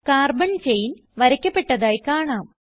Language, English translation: Malayalam, We see that carbon chain is drawn